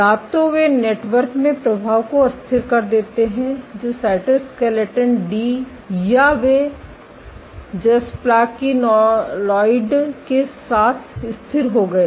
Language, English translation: Hindi, Either, they destabilized the affect in network which cytoskeleton D or they stabilized with jasplakinolide